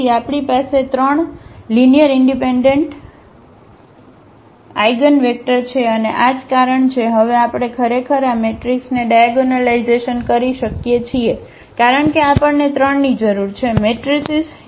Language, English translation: Gujarati, So, we have 3 linearly independent linearly independent eigenvector and that is the reason now we can actually diagonalize this matrix because we need 3 matrices